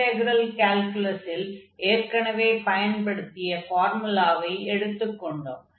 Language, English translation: Tamil, And then this is the familiar formula which we have already used in, for example, the integral calculus